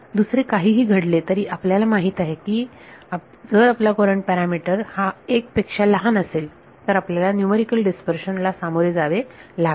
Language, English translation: Marathi, Whatever else happens, you know that if your courant parameter is less than 1 you will phase numerical dispersion